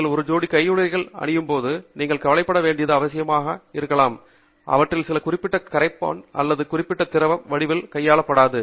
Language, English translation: Tamil, May be the only thing you have to be concerned about when you wear a pair of gloves is that some of them may or may not handle a particular solvent or particular form of liquid